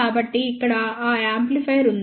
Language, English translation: Telugu, So, here is that amplifier